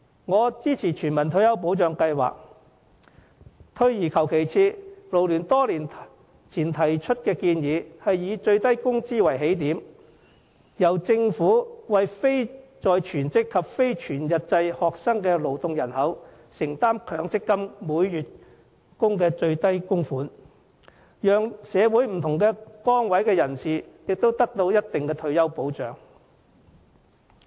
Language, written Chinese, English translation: Cantonese, 我支持全民退休保障計劃，退而求其次，勞聯多年前提出建議，以最低工資為起點，由政府為非在職及非全日制學生的勞動人口承擔強積金每月的最低供款，讓社會上不同崗位的人士也得到一定的退休保障。, As a proponent of a universal retirement protection scheme I am prepared to settle for the next best option . Many years ago FLU put forward the proposal for the Government using the minimum wage as a starting point to make the minimum monthly MPF contribution for persons in the workforce who are neither in employment nor engaged in full - time studies thereby offering some degree of retirement protection to people of different positions in society